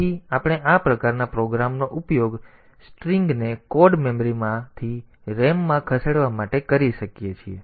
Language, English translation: Gujarati, So, we can use this type of program for moving string from code memory to ram